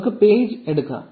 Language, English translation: Malayalam, So, let us say page